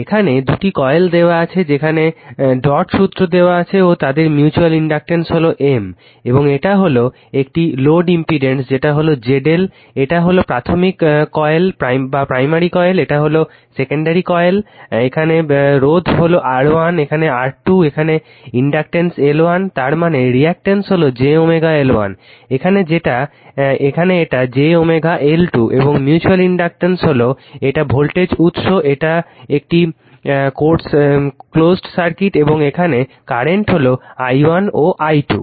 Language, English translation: Bengali, So, in this case your in this case two coils are there dot conventions given their mutual inductance is M and this is one load impedance is that Z L this is the primary coil this is a secondary coil here, resistance is R 1 here resistance is R 2 here inductance L 1 means reactance is j omega L 1 here it is j omega L 2 and mutual inductance is then this is the voltage source this circuit is close actually right and current is taken i 1 and i 2